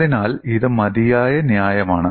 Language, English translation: Malayalam, So, it is fair enough